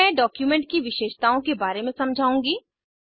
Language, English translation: Hindi, Now I will explain about Document Properties